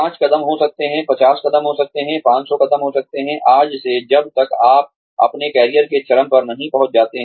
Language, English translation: Hindi, Could be five steps, could be 50 steps, and could be 500 steps, from today, until you reach, the peak of your career